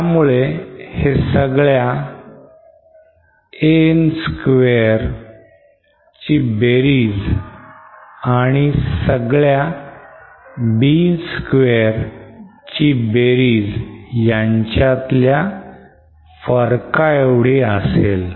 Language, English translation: Marathi, What I mean is we have summation of An square is equal to the summation of Bn square